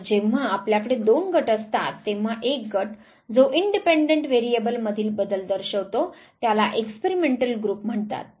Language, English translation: Marathi, And when you have two groups one group which is exposed to changes in the independent variable is called the experimental group